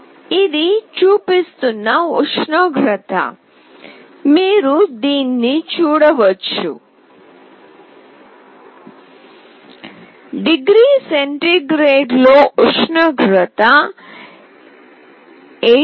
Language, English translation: Telugu, The temperature what it is showing, you can see this, the temperature in degree centigrade is 18